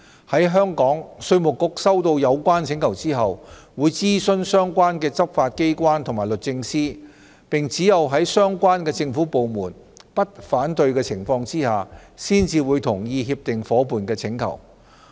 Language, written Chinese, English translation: Cantonese, 在香港，稅務局收到有關請求後，會諮詢相關執法機關及律政司，並只有在相關政府部門不反對的情況下，才會同意協定夥伴的請求。, In Hong Kong upon receipt of such a request IRD will consult the relevant law enforcement agencies and the Department of Justice . It will accede to the request of the agreement partner only if there is no objection from the relevant government departments